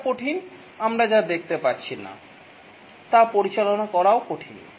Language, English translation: Bengali, What is difficult, what is we are unable to see is also difficult to manage